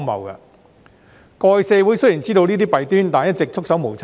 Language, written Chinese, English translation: Cantonese, 社會過去雖然知道這些弊端，但一直束手無策。, Even though the community has been aware of these malpractices nothing could be done about them